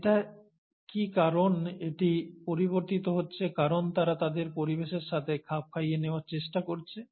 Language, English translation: Bengali, Is it because it is changing because they are trying to adapt to their environment